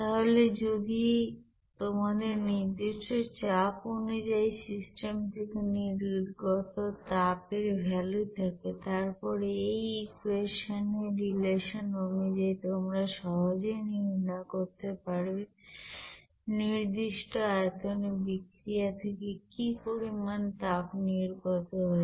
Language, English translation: Bengali, So if you are having that value of constant pressure based you know heat released by that reaction, then from the relation of this equation represented by this equation, you can easily calculate what should be the heat evolved by the reaction at constant volume there